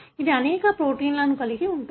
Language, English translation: Telugu, It involves many proteins